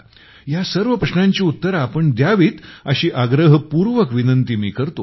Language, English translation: Marathi, I urge you to answer all these questions